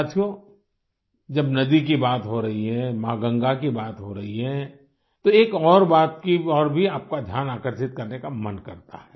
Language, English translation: Hindi, when one is referring to the river; when Mother Ganga is being talked about, one is tempted to draw your attention to another aspect